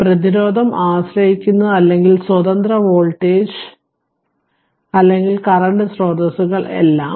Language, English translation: Malayalam, So, for we have studied resistance and you are dependent or you are independent voltage, or current sources that is all